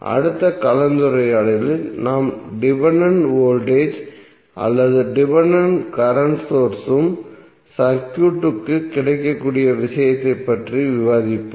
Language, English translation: Tamil, In next session we will discuss the case where we have dependent voltage or dependent current source is also available in the circuit